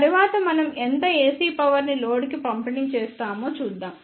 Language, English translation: Telugu, Next we will be seeing the how much AC power is delivered to the load